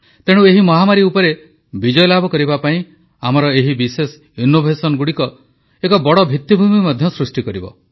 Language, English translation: Odia, Thus, these special innovations form the firm basis of our victory over the pandemic